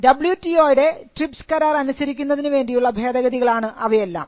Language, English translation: Malayalam, These were all amendments that brought the act in compliance with the TRIPS agreement of the WTO